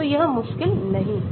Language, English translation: Hindi, so it is not difficult